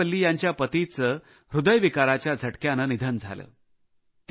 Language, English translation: Marathi, Amurtha Valli's husband had tragically died of a heart attack